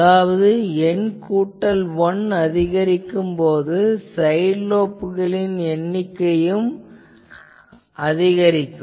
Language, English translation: Tamil, Now, again if N plus 1 increases, the number of side lobes also increases